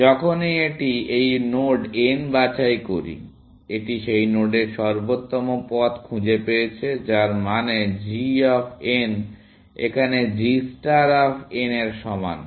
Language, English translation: Bengali, Whenever, it picks this node n, it has found optimal path to that node, which means g of n is equal to g star of n